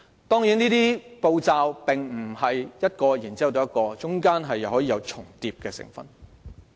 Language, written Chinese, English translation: Cantonese, 當然，這些步驟並非一個接一個，中間可以有重疊的成分。, Certainly it is not the case that these steps should be taken one by one in sequence for they can overlap in the process